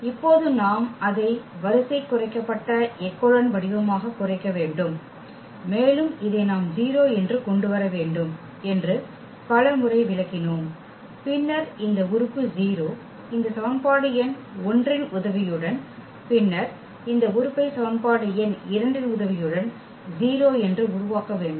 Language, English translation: Tamil, Now we need to reduce it to the row reduced echelon form and that idea is also we have explained several times we need to make this elements 0, then this element 0 with the help of this equation number 1 and then we need to make this element 0 with the help of the equation number 2